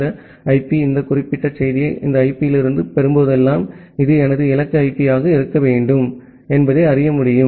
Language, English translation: Tamil, And then this machine whenever it is receiving this particular message from this IP, it can comes to know that well this should be my destination IP the source IP in the request